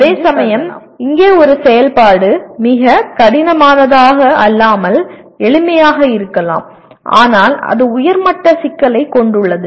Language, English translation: Tamil, Whereas an activity here may be simple not that very difficult but it has a higher level complexity